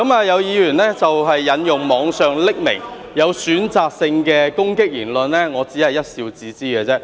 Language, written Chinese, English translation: Cantonese, 有議員引用網上匿名、有選擇性的攻擊言論，我只是一笑置之。, Some Members have quoted anonymous and selectively offensive online remarks . I just laugh them off